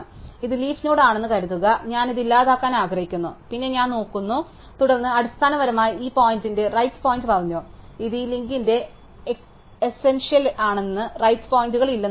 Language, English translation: Malayalam, So, supposing I come here and this my leaf node and I want to delete this, then I look up and then I basically set the right pointer of this to be nil, which is essentially kills of this link and says that there is no right pointers